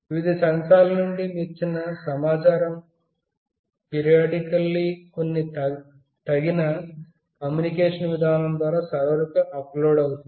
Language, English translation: Telugu, The information from the various sensors shall be uploaded to a server periodically through some suitable communication mechanism